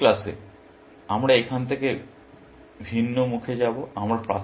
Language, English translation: Bengali, In the next class, we will take a diversion from here